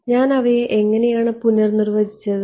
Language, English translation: Malayalam, How did I redefine those